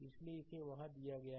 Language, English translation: Hindi, So, rest it is given there